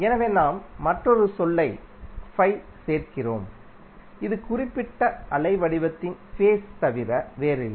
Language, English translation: Tamil, So we add another term called phi which is nothing but the phase of that particular waveform